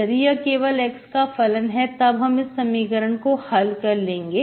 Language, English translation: Hindi, If it is only function of x, then I solve this equation, I get this form